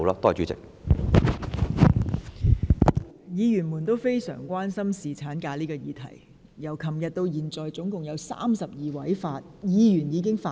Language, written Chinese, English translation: Cantonese, 各位議員非常關心侍產假這項議題，從昨天至今已有32位議員發言。, Members are very concerned about the current issue of paternity leave . Thirty - two Members have spoken since yesterday